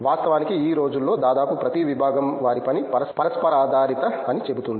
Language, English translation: Telugu, In fact, almost every department these days says that their work is interdisciplinary